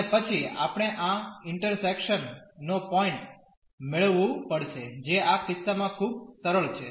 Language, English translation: Gujarati, And then we have to get this point of intersection which is pretty simple in this case